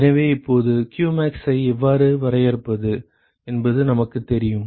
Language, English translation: Tamil, So now, we know how to define qmax